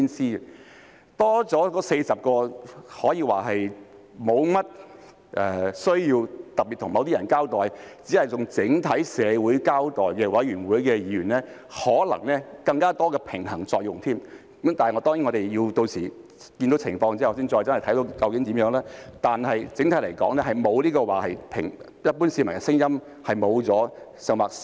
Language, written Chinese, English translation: Cantonese, 新增的40席可說是沒有需要特別向某些人交代，只須向整體社會交代的選舉委員會議員，可能會發揮更多的平衡作用；但當然，我們屆時要看看情況才知道是怎樣，但整體而言，這不會令一般市民的聲音消失或減少。, Members to be returned by the Election Committee EC to take up the newly added 40 seats who do not need to be specifically accountable to certain people but only have to be accountable to society as a whole may be able to play a greater role in striking a balance . But of course we have to see how the situation will be by then before we can obtain a clear picture . But on the whole the voices of the general public will not vanish or become any less as a result